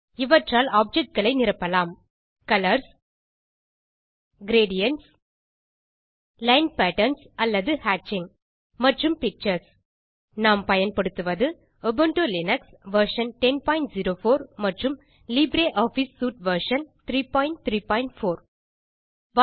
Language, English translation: Tamil, You can fill objects with: Colors Gradients Line patterns or hatching and Pictures Here we are using Ubuntu Linux version 10.04 and LibreOffice Suite version 3.3.4